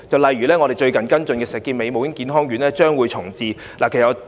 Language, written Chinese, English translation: Cantonese, 例如，我們最近跟進的石硤尾母嬰健康院重置個案。, For instance we have been following up the redevelopment of the Shek Kip Mei Maternal and Child Health Centre